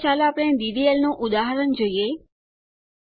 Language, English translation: Gujarati, Next let us see a DDL example